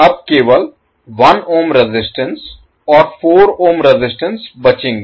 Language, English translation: Hindi, You will left only with the resistances that is 1 ohm resistance and 4 ohm resistance